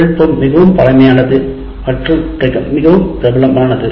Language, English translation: Tamil, The technology is the oldest and most prevalent